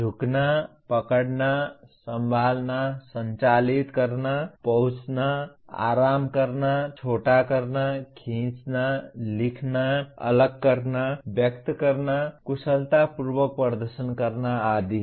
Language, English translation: Hindi, Bend, grasp, handle, operate, reach, relax, shorten, stretch, write, differentiate, express, perform skillfully and so on